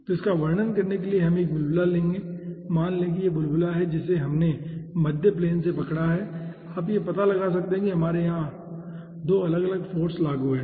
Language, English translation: Hindi, lets say this is bubble which we have, you know, caught form the middle plane and you can find out that we are having 2 different forces over here